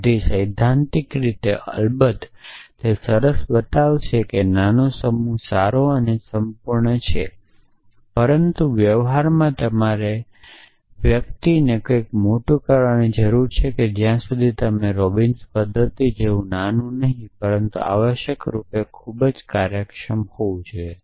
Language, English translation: Gujarati, So, theoretically of course it is nice show that a small set is good and complete, but in practice you guy need something bigger unless you come up with something like Robinsons method which was small and yet very efficient essentially